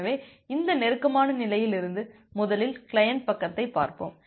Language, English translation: Tamil, So, from this close state let us first look into the client side